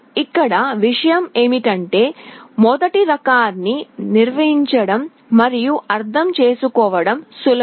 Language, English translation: Telugu, Now the point is that the first type is easier to build and understand